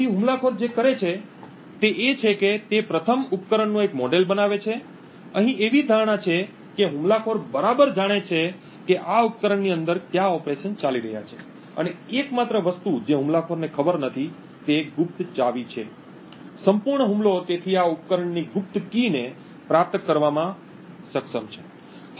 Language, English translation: Gujarati, So, what the attacker does is firstly he builds a model of the device, the assumption here is that the attacker knows exactly what operations are going on within this device and the only thing that the attacker does not know is the secret key, the whole attack therefore is to be able to retrieve the secret key of this device